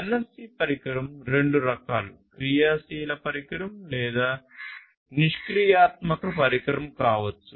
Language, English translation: Telugu, And a NFC device can be of any two types, active device or passive device